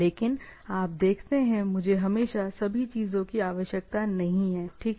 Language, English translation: Hindi, But you see, I may not require always all the things, right